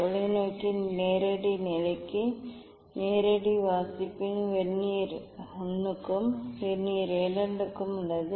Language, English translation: Tamil, direct reading of the telescope take reading of Vernier I and Vernier II find out this a and b for Vernier I and Vernier II